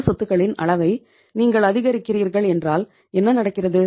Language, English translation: Tamil, If you are increasing the level of current assets what is happening